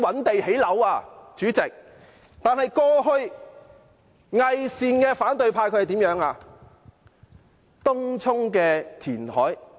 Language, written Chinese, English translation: Cantonese, 但是，代理主席，過去偽善的反對派怎樣做？, But what did the hypocritical opposition Members do in the past?